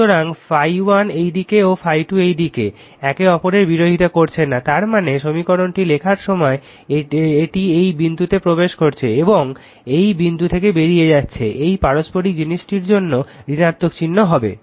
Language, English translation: Bengali, So, phi 1 this way then phi 2 is this way that is there, opposing each other is not it; that means, your when you write the equation it is entering the dot it is leaving the dot that mutual thing will be negative sign right